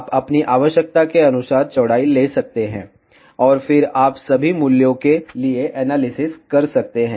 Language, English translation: Hindi, You can take the width as per your requirement, and then you can do the analysis for all the values